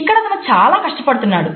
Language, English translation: Telugu, And he is trying very hard